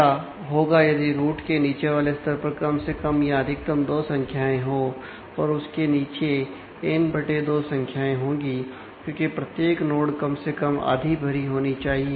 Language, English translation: Hindi, So, what will happen; if the level below root has two values at the most at least and the below that will have n/2 values, because every node has to be at least half field